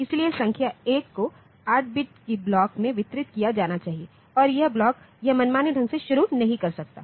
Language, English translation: Hindi, So, the number the 1 s should be distributed in a block of 8 bits and this block it cannot start at arbitrary point